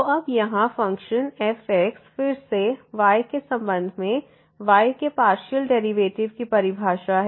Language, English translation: Hindi, So, here now the partial derivative of y with respect to the of this function again the definition